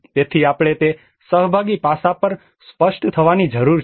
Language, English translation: Gujarati, So we need to be clear on that participation aspect